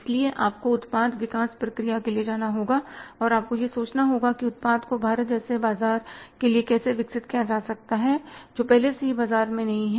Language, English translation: Hindi, So, there you have to go for the product development process and you have to think about that how the product can be developed for a market like India which is not already there in the market if we bring this product in the market so what will happen